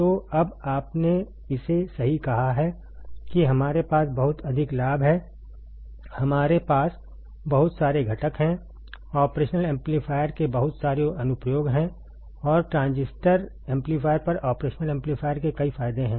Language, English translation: Hindi, So, now, you got it right said that we have very high gain, we have lot of components, there are a lot of application of operational amplifier, and there are several advantages of operational amplifier over transistor amplifiers, over transistor amplifier correct